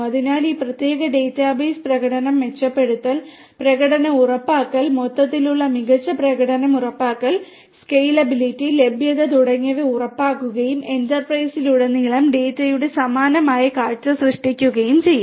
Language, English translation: Malayalam, So, this particular database will ensure performance, improvement, performance ensuring performance overall good performance is ensured, scalability, availability and so on and creating a similar view of data across the enterprise